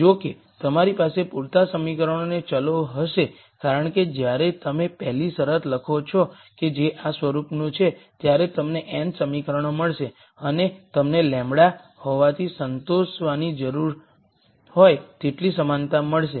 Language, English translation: Gujarati, However, you will have enough equations and variables because when you write the first condition which is of this form you will get the n equations and you will get as many equality constraints that need to be satisfied as there are lambdas